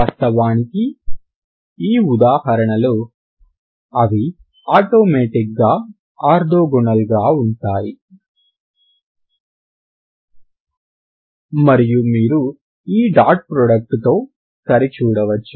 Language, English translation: Telugu, And so happens here that in this example they are actually automatically they are orthogonal so that you can verify with this dot product